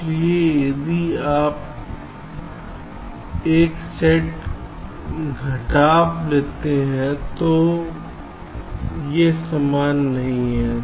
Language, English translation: Hindi, so if you take a set subtraction, these are not the same